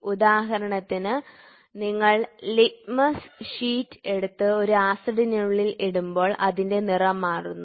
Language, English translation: Malayalam, For example, if you take the litmus sheet and put it inside an acid or base the colour changes